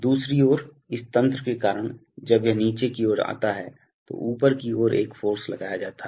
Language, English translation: Hindi, On the other hand, because of this mechanism when this comes downward, there is a force applied upward